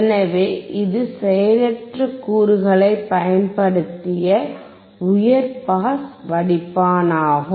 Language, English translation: Tamil, So, it is a high pass filter using passive component